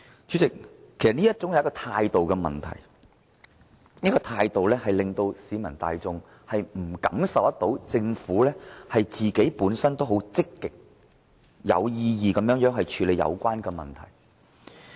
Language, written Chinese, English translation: Cantonese, 主席，其實這是一種態度問題，這種態度令市民感受不到政府會積極有為地處理問題。, President this is a matter of attitude . Members of the public can hardly sense the Governments commitment to properly handle the issue